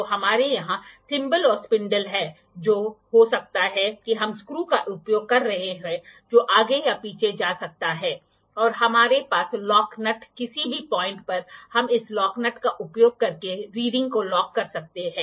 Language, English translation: Hindi, So, we have thimble or spindle here which can be which we are using the screw which can move forward or backward, and we have the lock nut at any point we can lock the reading using this lock nut